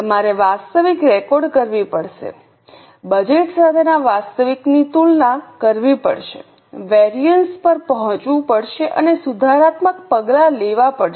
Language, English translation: Gujarati, You have to record the actuals, compare the actuals with budget, arrive at variances and take corrective action